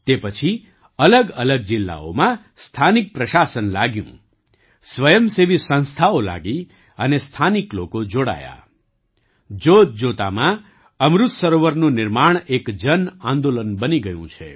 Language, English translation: Gujarati, After that, the local administration got active in different districts, voluntary organizations came together and local people connected… and Lo & behold, the construction of Amrit Sarovars has become a mass movement